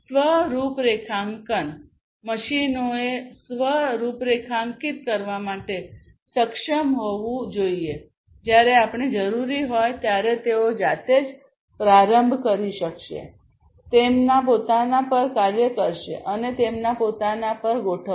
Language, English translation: Gujarati, Self configuration the machines should be able to self configure whenever required this would be able to start up on their own, work on their own, configure on their own and so, on